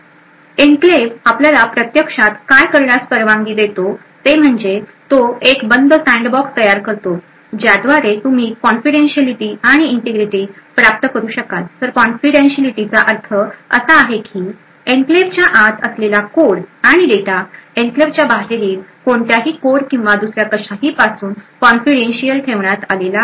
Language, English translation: Marathi, So what the enclave actually permits us to do is that it would it is able to create a closed sandbox through which you could get confidentiality and integrity so what we mean by confidentiality is that the code and data present inside the enclave is kept confidential with respect to anything or any code or anything else outside the enclave